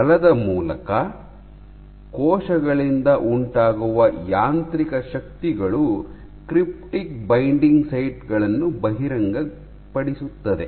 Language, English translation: Kannada, Via forces, mechanical forces exerted by cells expose cryptic sites